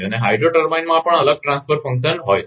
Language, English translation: Gujarati, And hydro turbine also have different transfer function